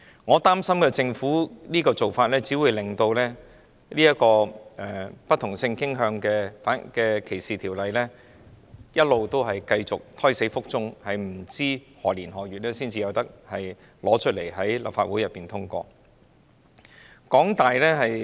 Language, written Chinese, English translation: Cantonese, 我擔心政府這種做法只會令關於不同性傾向歧視的法例一直胎死腹中，不知在何年何月才向立法會提交法案並獲得通過。, I am worried that the Governments current approach would only result in the legislation against discrimination on the ground of sexual orientation remaining a non - starter with no date in sight as to when the bill will be submitted to and passed by the Legislative Council